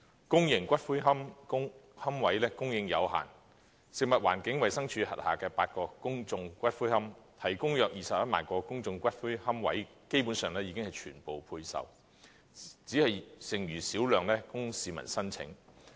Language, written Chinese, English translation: Cantonese, 公營骨灰龕位供應有限，食物環境衞生署轄下的8個公眾骨灰安置所，提供約21萬個的公眾龕位基本上已全部配售，只餘小量供市民申請。, The supply of public niches is limited . As about 210 000 niches provided in the eight public columbaria managed by the Food and Environmental Hygiene Department FEHD have all been allocated only a small number of remaining niches are available for application by the public